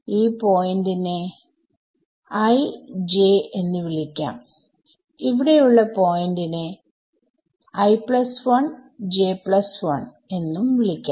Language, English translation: Malayalam, So, I will call this point i, j and therefore, this point over here is (i plus 1, j plus 1)